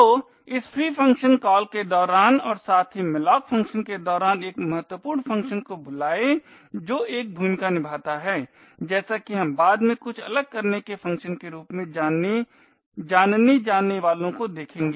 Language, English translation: Hindi, So during this free function call as well as during the malloc function call an important function that plays a role as we will see later is something known as the unlink function